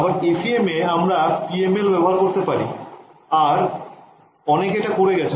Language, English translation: Bengali, Even FEM we can implement PML and people have done so ok